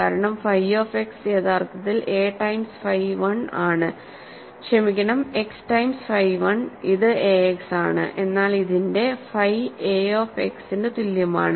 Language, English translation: Malayalam, The reason is phi of x is actually a times phi 1, sorry x times phi 1 which is a x, but this is also same as phi a of x ok